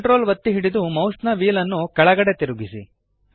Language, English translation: Kannada, Hold Ctrl and scroll the mouse wheel downwards